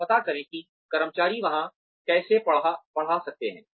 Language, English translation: Hindi, And, find out, how the employees can teach there